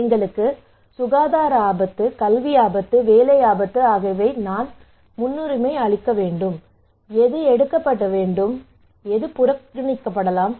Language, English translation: Tamil, Okay, we have a health risk, we have academic risk, we have job risk so which one I should prioritise, which one I should take and which one I should ignore